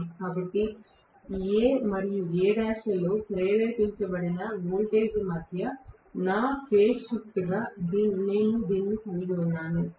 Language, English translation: Telugu, So, I am going to have this as my phase shift between the voltages induced in A and A dash right